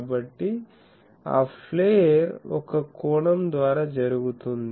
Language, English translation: Telugu, So, that flaring is done by an angle